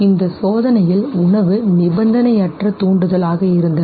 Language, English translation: Tamil, Food in the, in this very experiment was unconditioned stimulus